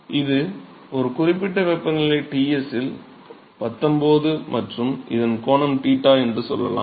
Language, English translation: Tamil, So, this is nineteen at a certain temperature Ts and let say this is angle theta